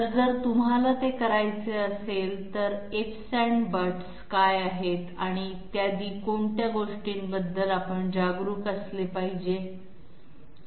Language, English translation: Marathi, So in case you have to do that, what are the ifs and buts and what are the things we have to be conscious about et cetera